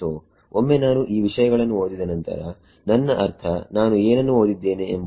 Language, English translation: Kannada, So, once I read in these things I mean what would I read in to